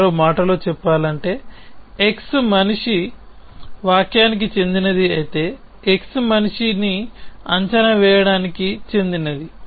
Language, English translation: Telugu, In other words if x belongs to man interpretation, then x belongs to predicate man